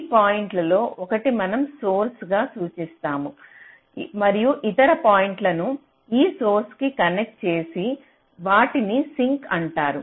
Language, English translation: Telugu, so a one of these points we refer to as the source and the other points to which the source needs to be connected is called the sink